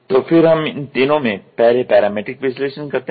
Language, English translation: Hindi, So, then we first in that three first is parametric analysis